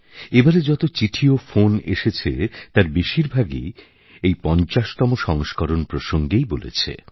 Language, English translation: Bengali, Your letters and phone calls this time pertain mostly to these 50 episodes